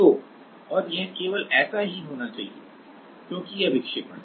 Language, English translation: Hindi, So, and this should be like that is only because this is the deflection